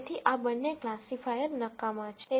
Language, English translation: Gujarati, So, both of these classifiers are useless